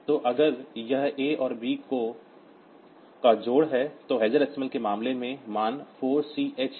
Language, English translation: Hindi, So, if it is a addition a b, so in case of hexadecimal the value is 4 C h